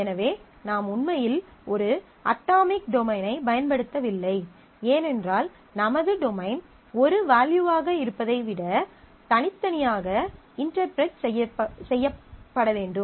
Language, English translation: Tamil, Then I am not actually using an atomic domain because my domain needs to be interpreted separately than just being a value